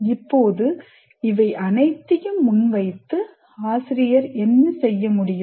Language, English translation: Tamil, Now having presented all this, what exactly, what can the teacher do